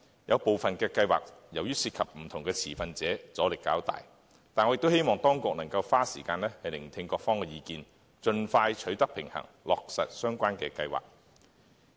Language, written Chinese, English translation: Cantonese, 有部分計劃由於涉及不同的持份者，阻力較大，但我希望當局能夠花時間聆聽各方意見，盡快取得平衡，落實相關計劃。, As some of the plans involve the interests of different stakeholders resistance will be great but I hope that the authorities will spend time to listen to various views and strike a balance as soon as possible in order to implement the relevant plans